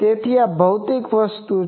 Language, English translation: Gujarati, Now, so this is a physical thing